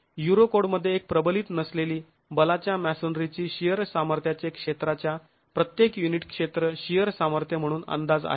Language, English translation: Marathi, In the Eurocode, the shear strength of an unreinforced masonry wall is estimated as the shear strength per unit area of masonry